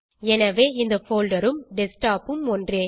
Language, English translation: Tamil, So this folder and the Desktop are the same